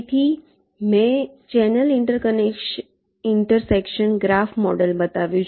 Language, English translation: Gujarati, so i have shown the channel intersection graph model